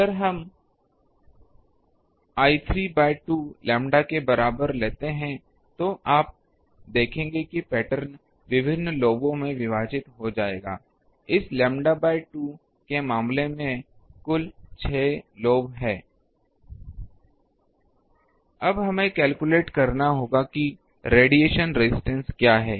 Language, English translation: Hindi, If we take l is equal to 3 by 2 lambda, you will see the pattern will be split in various lobes there are total 6 lobes in case of this lambda by 2 etcetera